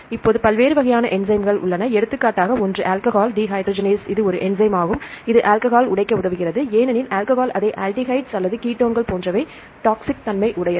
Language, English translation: Tamil, Now, there are different types of enzymes, for example, one is the alcohol dehydrogenase this is an enzyme, it facilitates to break down the alcohol because alcohol is toxic it into the others like aldehydes or ketones right